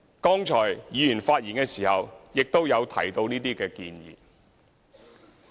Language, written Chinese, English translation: Cantonese, 剛才議員發言的時候亦有提到這些建議。, Members have put forward these suggestions in their speeches earlier